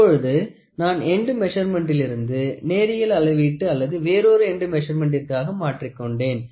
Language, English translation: Tamil, Now I have converted an end measurement into a linear measurement or an end another end measurement